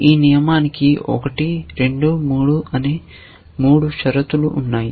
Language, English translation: Telugu, This rule has three conditions 1, 2, 3